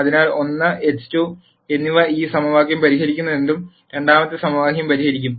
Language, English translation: Malayalam, So, whatever 1 and x 2 will solve this equation will also solve the second equation